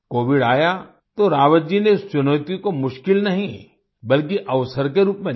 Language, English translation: Hindi, When Covid came, Rawat ji did not take this challenge as a difficulty; rather as an opportunity